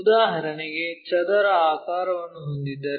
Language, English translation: Kannada, For example, if we have a square